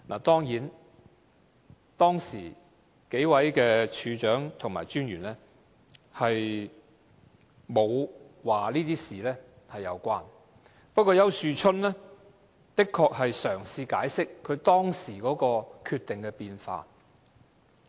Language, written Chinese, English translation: Cantonese, 當然，當時數位處長和專員沒有說這些事情有關連，不過，丘樹春的確嘗試解釋他當時決定的變化。, Of course at that time the Directors of Investigation and the Commissioner did not say that they were connected . However Ricky YAU did try to explain the changes in his decision back then